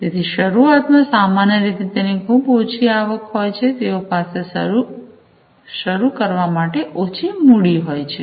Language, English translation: Gujarati, So, startups typically have very small revenues to start with, they have very less capital to start with